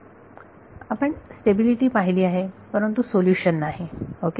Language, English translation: Marathi, So, stability we have seen solution does not ok